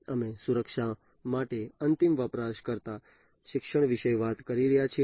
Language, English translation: Gujarati, So, we are talking about, you know, end user education for security